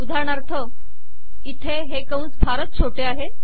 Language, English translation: Marathi, For example here, these brackets are very small